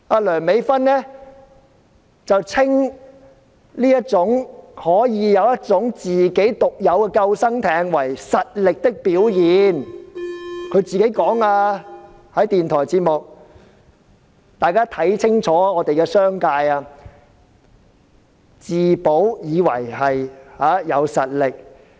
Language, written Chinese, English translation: Cantonese, 梁美芬議員稱這種可以有自己獨有救生艇的能力為實力的表現，她在電台節目上親口說的，大家要看清楚這些商界的面目，自保便以為是有實力。, Dr Priscilla LEUNG called the ability to possess such a personal lifeboat the manifestation of power . She said it personally in a radio programme . Everyone must look very clearly at the true colours of such members of the business sector who think being able to save their own hide is their real power